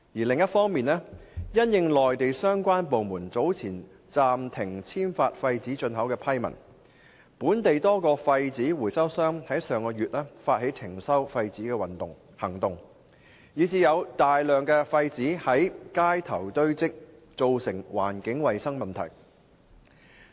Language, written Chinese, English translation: Cantonese, 另一方面，因應內地相關部門早前暫停簽發廢紙進口批文，本地多個廢紙回收商在上月發起停收廢紙行動，以致有大量廢紙在街頭堆積，造成環境衞生問題。, On the other hand in light of the temporary suspension of issuance of approval documents earlier on by the relevant Mainland departments for importing waste paper a number of local waste paper recyclers initiated a campaign last month to cease the collection of waste paper . As a result huge quantities of waste paper piled up on the street causing environmental hygiene problems